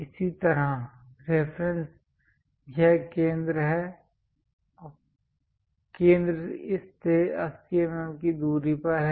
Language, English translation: Hindi, Similarly, the reference is this center is at 80 mm from this